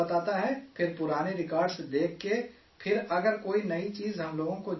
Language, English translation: Urdu, Then after seeing the old records, if we want to know any new things